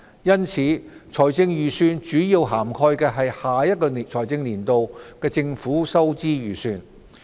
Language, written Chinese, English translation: Cantonese, 因此，財政預算主要涵蓋下一財政年度的政府收支預算。, Hence the Budget covers mainly the estimates of the revenue and expenditure of the Government for the next financial year